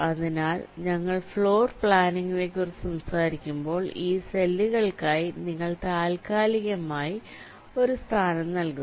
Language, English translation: Malayalam, so when we talk about floorplanning you are tentatively assigning a location for this cells